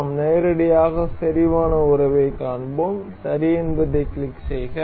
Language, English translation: Tamil, And we will directly see concentric relation and click ok